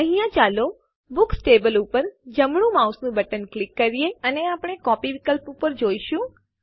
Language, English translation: Gujarati, Here let us right click on the Books table, And we will see the copy option